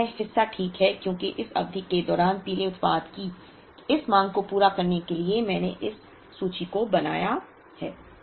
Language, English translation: Hindi, Then this part is ok because to meet this demand of the yellow product during this period I have built up this inventory